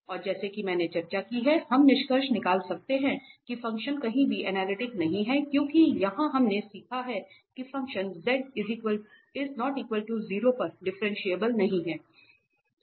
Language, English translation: Hindi, And as I discussed, we can conclude that the function is nowhere analytic because here we learned that the function is not differentiable at any z if z is not equal to 0